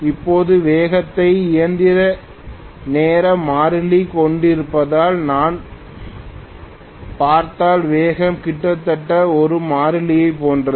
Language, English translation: Tamil, Now, if I look at the speed because it is having mechanical time constant, speed is almost like a constant